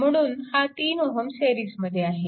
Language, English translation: Marathi, And this 3 ohm and this 3 ohm is in series